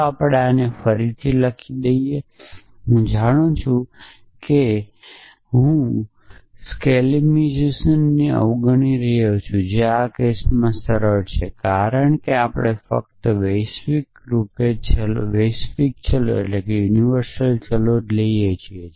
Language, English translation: Gujarati, So, let we rewrite this you know I am skipping in the step of skolemization which in this cases simple because we are only universally quantified variables